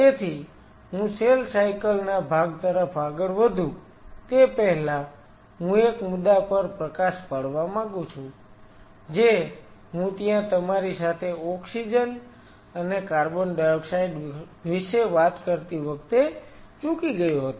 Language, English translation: Gujarati, So, before I move on to the cell cycle part I wish to highlight one point which I missed out while I was talking to you about oxygen and carbon dioxide